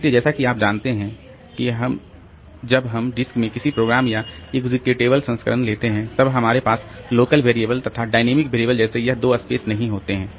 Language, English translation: Hindi, So, that is as you know that when we take the executable version of a program in that disk, then we don't have these two spaces like the local variables and this dynamically created variables